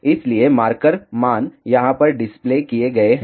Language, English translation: Hindi, So, the marker values are displayed over here